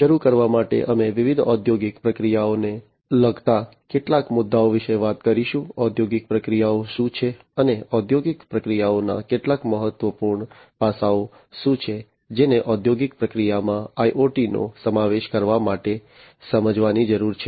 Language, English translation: Gujarati, To start with, we will talk about some of the issues concerning different industrial processes, what industrial processes are, and what are some of the important aspects of industrial processes that need to be understood in order to incorporate IoT into the industrial processes